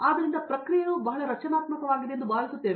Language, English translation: Kannada, So, it feels the process is very structured